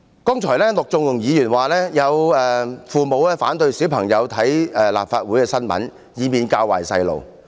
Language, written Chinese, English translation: Cantonese, 剛才陸頌雄議員說，有父母反對小孩看關於立法會的新聞，以免他們被教壞。, Just now Mr LUK Chung - hung has stated that some parents disapprove of their children reading or watching news about the Legislative Council so as to avoid exposing them to bad influence